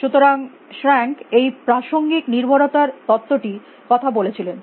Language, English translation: Bengali, So, shrank talked about is contextual dependency theory